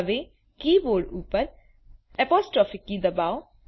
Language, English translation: Gujarati, Now from the keyboard press the apostrophe key